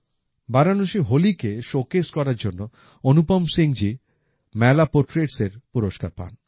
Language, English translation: Bengali, Anupam Singh ji received the Mela Portraits Award for showcasing Holi at Varanasi